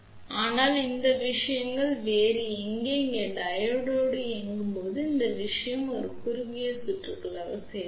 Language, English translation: Tamil, But, here things are different; here when the Diode is on this thing will act as a short circuit